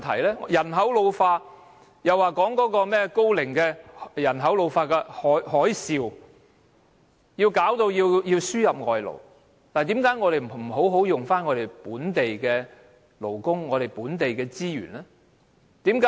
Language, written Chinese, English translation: Cantonese, 面對人口老化，政府指"高齡海嘯"導致安老服務業需要輸入外勞，但為何不能先行善用本地勞工和本地資源呢？, When facing with an ageing population the Government said that the ageing tsunami has prompted the need to import labour to work in the elderly care service industry . But why not first well utilize local workforce and resources before importing labour?